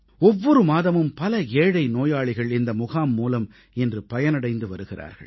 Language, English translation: Tamil, Every month, hundreds of poor patients are benefitting from these camps